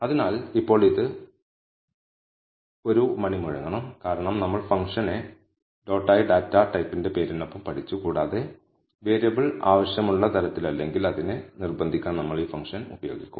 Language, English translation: Malayalam, So, now this should ring a bell, because we have learned the function as dot followed by the name of the data type and we will use this function to coerce it if the variable is not of the desired type